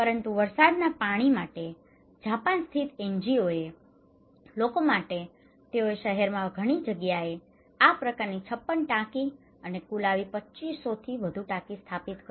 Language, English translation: Gujarati, But the people for rainwater one, Japan based NGO, they install this kind of tank in many places in the town they installed 56 such tanks in total they installed more than 250 tanks, okay